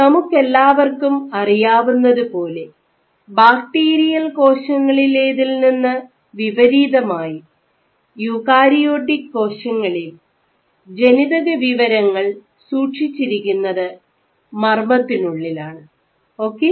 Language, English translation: Malayalam, So, as we all know that in contrast to cells like bacteria, in a cell the genetic information is stored inside the nucleus ok